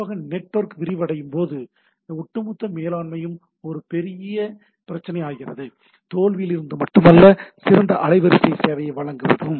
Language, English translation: Tamil, And specially the network as it expands, the overall management becomes a major issue, not only from the failure, but to give a better bandwidth service and so on so forth